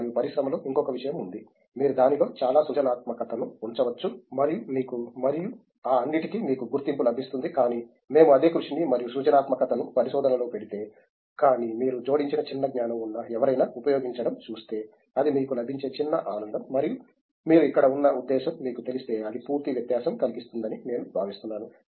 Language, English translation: Telugu, And, one more thing is in industry you can put a lot of creativity into it and you get recognition for that and all those things, but if we put the same hard work and creativity in research, but on seeing that being used by someone that small body of knowledge that you add which is new in the complete thing that little happiness that you get and you know the purpose that you are here I think that makes complete difference